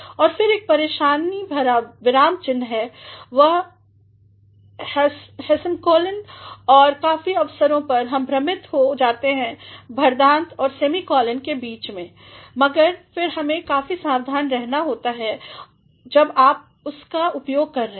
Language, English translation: Hindi, Then again there is another troublesome punctuation mark that is a semicolon and on many occasions, we are often confused between colons and semicolons but, then we have to be quite careful while you are making use of that